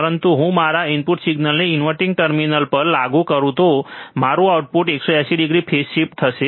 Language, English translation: Gujarati, But if I apply my input signal to the inverting terminal, my output would be 180 degree phase shift